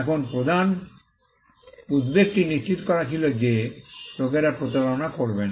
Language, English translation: Bengali, Now, the main concern was to ensure that, people do not get defrauded